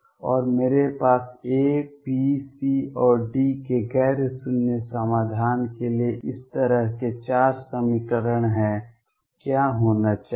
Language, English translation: Hindi, And I have 4 equations like this for a non zero solution of A B C and D what should happen